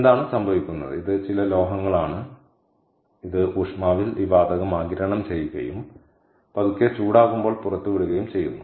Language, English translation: Malayalam, is this a some metals, ah, which sort of absorbed this gas at room temperature and release it on slow heating